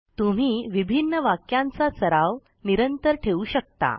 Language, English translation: Marathi, You can keep practicing with different sentences